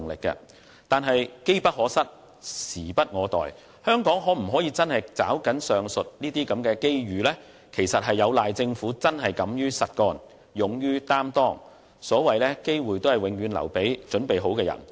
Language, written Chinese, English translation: Cantonese, 然而，機不可失，時不我待，香港能否真正抓緊上述機遇，實在有賴政府敢於實幹，勇於擔當，"機會只會留給有準備的人"。, And yet opportunities are too good to be missed so we must act without delay . Whether or not Hong Kong can seize the above mentioned opportunities lies in the Governments boldness to do solid work and assume responsibilities and opportunities are for people who are prepared